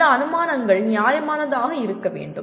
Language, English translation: Tamil, And these assumptions should be justifiable